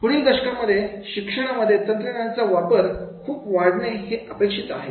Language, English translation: Marathi, The use of training technology is expected to increase dramatically in the next decade